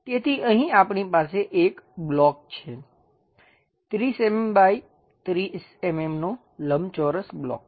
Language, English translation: Gujarati, So, here we have a block, a rectangular block of 30 mm by 30 mm by 30 mm